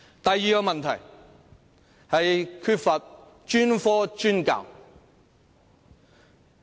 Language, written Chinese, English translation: Cantonese, 第二個問題是不進行專科專教。, The second problem is that specialized teaching is not implemented